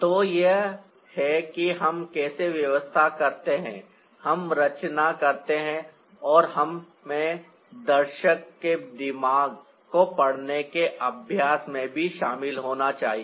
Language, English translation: Hindi, so this is how we arrange, we compose and we should also get into the practice of reading the mind of the viewer also